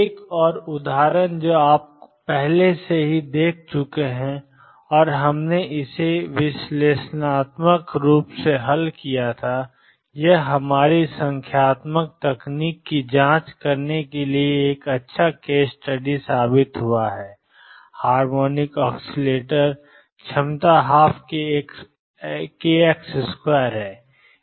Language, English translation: Hindi, Another example that you have already seen and we have solved it analytically and it proved to be a good case study to check our numerical techniques is the harmonic oscillator potential one half k x square